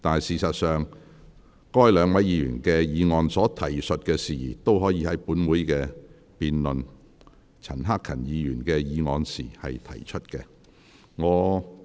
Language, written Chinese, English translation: Cantonese, 事實上，該兩位議員議案所提述的事宜都可以在本會辯論陳克勤議員的議案時提出。, As a matter of fact the issues raised in the other two Members motions can also be discussed when this Council debates Mr CHAN Hak - kans motion